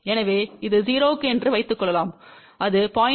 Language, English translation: Tamil, So, suppose this is 0, it will be 0